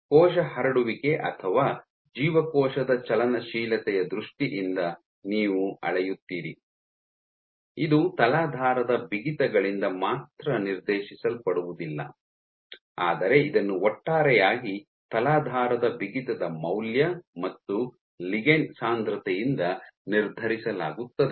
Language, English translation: Kannada, So, the measure that, the quantify that you measure either in terms of cell spreading or cell motility is not only dictated by the substrate stiffness, but it is in a collectively determined by substrate stiffness value and the ligand density